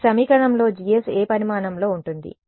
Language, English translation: Telugu, So, in this equation therefore, G S is of what size